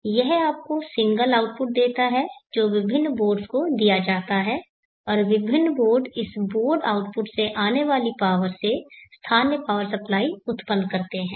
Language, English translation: Hindi, This is the power supply cord so this gives you a single output which is set to various boards and the various boards generate local parts of supply from the power that is coming from this board output